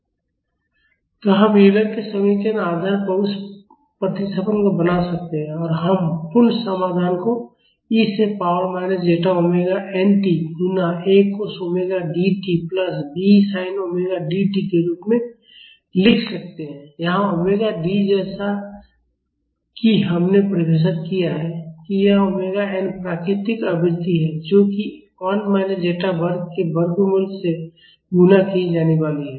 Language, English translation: Hindi, So, we can make that substitution based on Euler’s equation and we can write the complete solution as e to the power minus zeta omega n t multiplied by A cos omega D t plus B sine omega D t; here omega D as we have defined it is omega n that is the natural frequency multiplied by square root of 1 minus zeta square